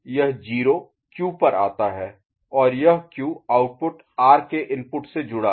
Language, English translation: Hindi, This 0 comes to Q and this Q output is connected to input of R